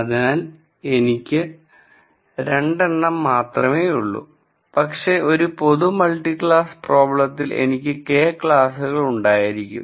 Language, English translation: Malayalam, So, here I have just 2, but in a general case in a multi class problem, I might have K classes